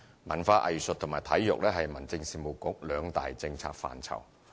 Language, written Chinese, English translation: Cantonese, 文化藝術和體育是民政事務局兩大政策範疇。, Culture and the arts along with sports are two major policy areas under the Home Affairs Bureau